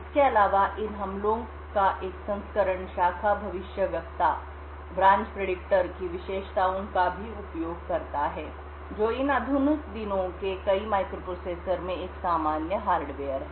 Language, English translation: Hindi, Also, a variance of these attacks also use the features of the branch predictor which is a common hardware in many of these modern day microprocessors